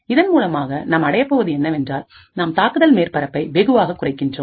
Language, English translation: Tamil, So, what we achieve by this is that we are drastically reducing the attack surface